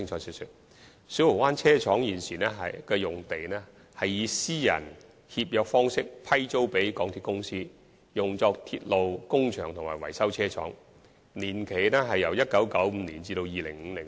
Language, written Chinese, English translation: Cantonese, 現時小蠔灣車廠用地是以私人協約方式批租予港鐵公司，以作鐵路工場和維修車廠之用，批租年期由1995年至2050年。, The Siu Ho Wan Depot Site is currently granted to MTRCL by way of private treaty for use as a railway workshop and a maintenance depot and the lease period runs from 1995 to 2050